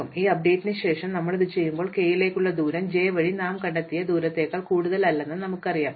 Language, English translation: Malayalam, So, when we do this after this update we know that the distance to k is no more than the distance we have just discovered through j